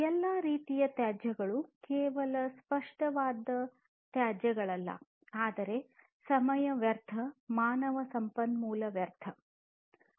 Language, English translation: Kannada, Wastes of all kinds not just the tangible wastes, but wastage of time waste, you know, wastage of human resources, and so on